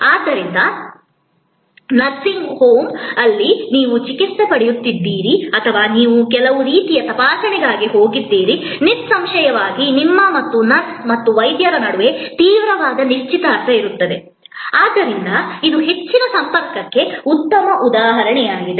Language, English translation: Kannada, So, nursing home, where you are getting treated or you have gone for some kind of check up; obviously, means that between you and the nurse and the doctor, there will be intense engagement, so this is high contact, a good example